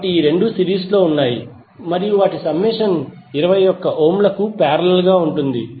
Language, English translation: Telugu, So these 2 are in series and their summation would be in parallel with 21 ohm